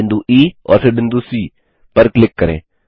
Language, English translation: Hindi, Click on the point E and then on point C